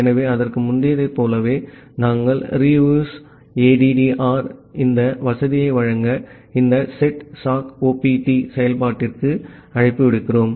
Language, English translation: Tamil, So, after that we similar to the earlier we are making a call to this setsockopt function to provide this facility of REUSEADDR